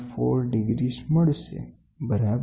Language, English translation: Gujarati, 4 degrees, ok